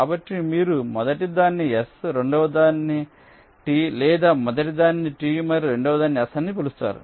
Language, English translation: Telugu, so you call the first one s, second one t, or the first one t and the second one s